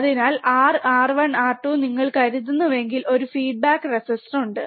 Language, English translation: Malayalam, So, if you assume there is R, R 1 there is a feedback resistor R 2